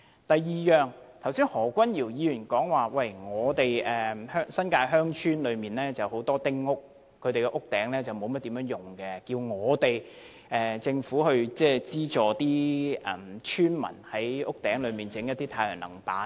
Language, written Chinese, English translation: Cantonese, 第二，何君堯議員剛才說新界鄉村有很多丁屋，屋頂沒有甚麼用途，他要求政府資助村民在屋頂設置太陽能板。, Next Dr Junius HO said earlier that the roofs of many small houses in villages of the New Territories had not been utilized . He asked the Government to subsidize villagers to install solar panels on their roofs